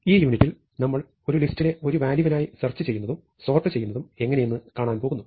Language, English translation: Malayalam, So, in this unit we are going to look at searching and sorting for a value in a list of values